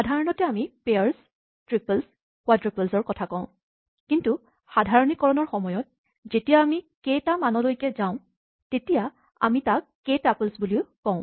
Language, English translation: Assamese, Normally we talk about pairs, triples, quadruples, but in general when it goes to values of k we call them k tuples